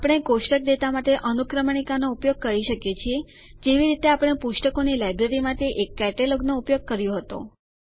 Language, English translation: Gujarati, We can use indexes for table data, like we use a catalogue for a Library of books